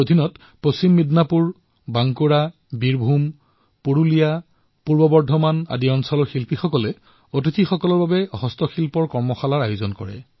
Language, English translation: Assamese, The Handicraft artisans from West Midnapore, Bankura, Birbhum, Purulia, East Bardhaman, organized handicraft workshop for visitors